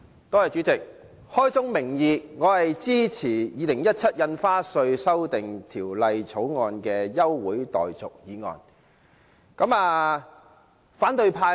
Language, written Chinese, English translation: Cantonese, 代理主席，開宗明義，我支持就《2017年印花稅條例草案》提出休會待續的議案。, Deputy Chairman let me say at the outset that I support the adjournment motion in relation to the Stamp Duty Amendment Bill 2017 the Bill